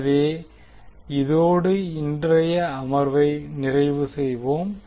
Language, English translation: Tamil, So with this, we can close our today’s session